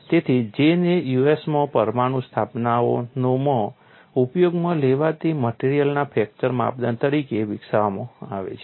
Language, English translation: Gujarati, So, J is developed in the USA as a fracture criterion for materials used in nuclear installations